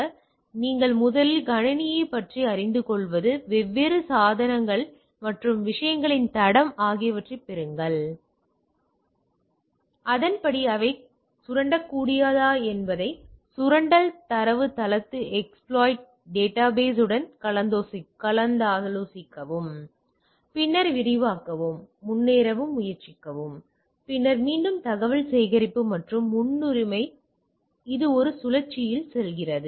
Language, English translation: Tamil, So, this is the way it goes on that you first learn about the system, get the footprint of the different devices and type of things then accordingly whether they are exploitable consulting the exploit database then try to escalate and advancement and then again information gathering and so and so forth, it goes in a loop